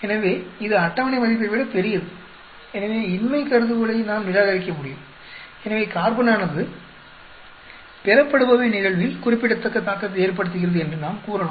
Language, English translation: Tamil, So, this is larger than the table value, so we can reject the null hypothesis, so we can say that the carbon have a significant effect on the yield